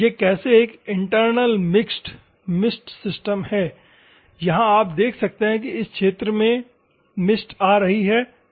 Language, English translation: Hindi, How this is an internally mixed mist system is there where you can see the mist is coming in this region ok